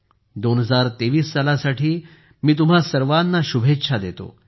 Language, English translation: Marathi, I wish you all the best for the year 2023